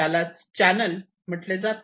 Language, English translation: Marathi, this is called a channel